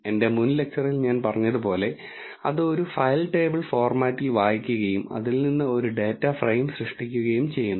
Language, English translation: Malayalam, Like I said from my earlier lecture it reads a file in table format and creates a data frame from it